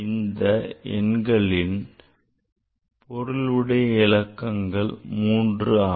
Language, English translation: Tamil, So, here this all number have significant figure is 3